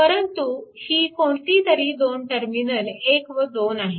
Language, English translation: Marathi, And terminal 1 and 2 is marked; terminal 1 and 2 is marked